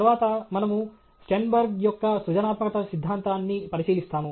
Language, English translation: Telugu, Then, we look at Sternberg’s theory of creativity